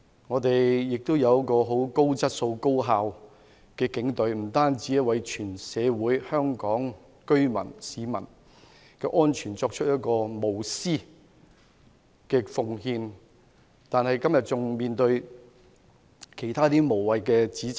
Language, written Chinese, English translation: Cantonese, 我們亦有很高質素、高效率的警隊，不單為香港社會、居民、市民的安全作出無私奉獻，今天仍要面對其他無謂指責。, Our Police Force are one of quality and highly efficient forces which make selfless sacrifice for the safety of the community residents and people of Hong Kong yet they have to face some frivolous accusations today